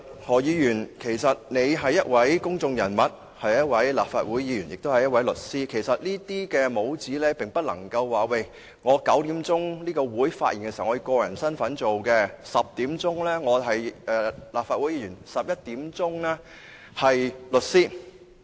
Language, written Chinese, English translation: Cantonese, 何議員是一位公眾人物，是一位立法會議員，亦是一位律師，但卻不能夠因為同時擁有這些帽子，便可說我9時是以個人身份在會議上的發言 ，10 時是立法會議員 ，11 時是律師。, Dr HO is a public figure a Member of the Legislative Council and also a solicitor . However though he is wearing these hats concurrently he cannot say that he can speak in the capacity as an individual at 9col00 am as a Member of the Legislative Council at 10col00 am and as a solicitor at 11col00 am